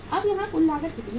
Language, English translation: Hindi, Now how much is the total cost here